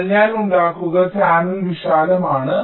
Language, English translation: Malayalam, but suppose i make the channel wider